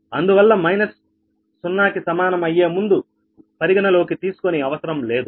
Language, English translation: Telugu, so no need to consider minus before that is equal to zero, right